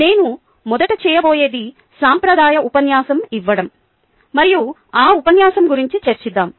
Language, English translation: Telugu, what i am going to do first is act out a traditional lecture and then let us discuss that lecture